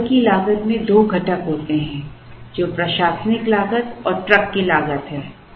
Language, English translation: Hindi, The order cost has two components, which is the administrative cost and the truck cost